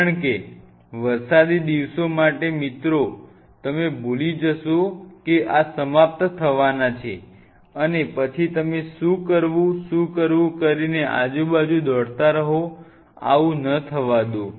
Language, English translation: Gujarati, For the rainy days because dear friends will forget that these are about to end and then you are hovering running around, what to do, what to do, what to do, not allow that to happen